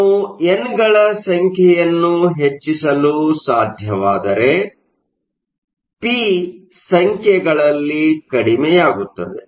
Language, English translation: Kannada, So, if we manage to increase n, we will decrease p and vice versa